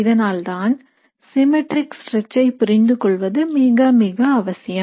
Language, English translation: Tamil, So which is why it is very very important to understand the symmetric stretch